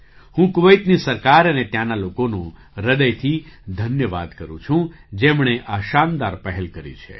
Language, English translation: Gujarati, I thank the government of Kuwait and the people there from the core of my heart for taking this wonderful initiative